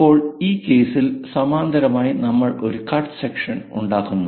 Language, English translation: Malayalam, So, we have to move parallel to that and perhaps make a cut section